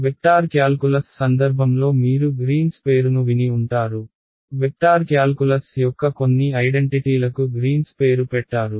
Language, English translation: Telugu, You would have heard the name of green in the context of vector calculus some identities of vector calculus are named after green right